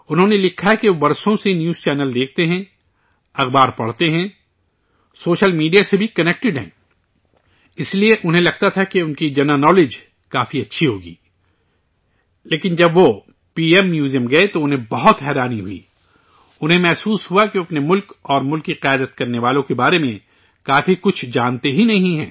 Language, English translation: Urdu, He has written that for years he has been watching news channels, reading newspapers, along with being connected to social media, so he used to think that his general knowledge was good enough… but, when he visited the PM Museum, he was very surprised, he realized that he did not know much about his country and those who led the country